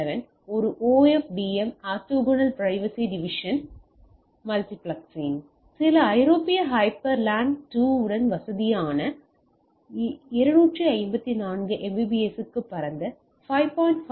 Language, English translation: Tamil, 802 dot 11 a OFDM orthogonal frequency division multiplexing so, comfortable with some European hyper LAN 2 can go for 254 Mbps with wider 5